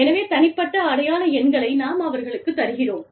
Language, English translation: Tamil, So, we assign, unique identification numbers